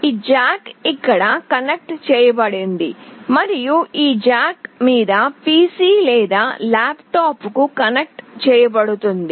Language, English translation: Telugu, This jack is connected here and this jack is will be connected to your PC or laptop